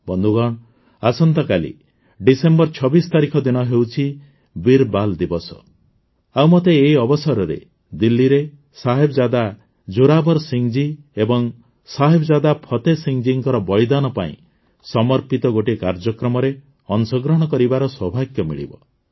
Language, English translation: Odia, Friends, tomorrow, the 26th of December is 'Veer Bal Diwas' and I will have the privilege of participating in a programme dedicated to the martyrdom of Sahibzada Zorawar Singh ji and Sahibzada Fateh Singh ji in Delhi on this occasion